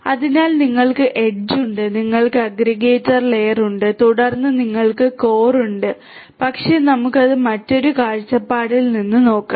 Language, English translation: Malayalam, So, you have the edge, you have the indicator layer and then you have the core, but let us look at it look at it from another viewpoint